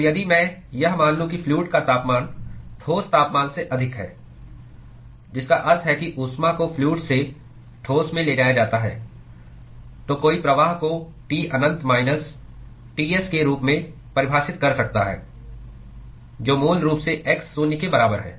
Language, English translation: Hindi, So, if I assume that the fluid temperature is higher than that of the solid temperature, which means that the heat is transported from the fluid to the solid, then one could define the flux as T infinity minus Ts, which is basically at x is equal to zero